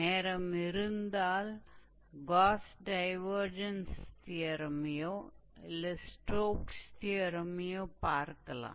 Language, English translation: Tamil, If time permits we might look into the Gauss Divergence theorem or Stokes theorem in the integral calculus itself